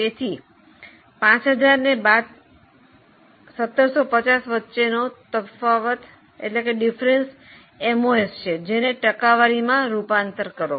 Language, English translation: Gujarati, So, difference between 5,000 minus 1,750 is their MOS and then convert it into percentage